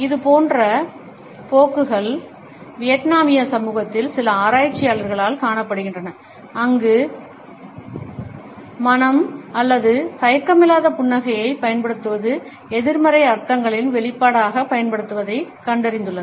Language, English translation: Tamil, The similar tendencies are seen in Vietnamese community by certain researchers, where they have found that silence or the use of a reluctant smile is used as an expression of negative connotations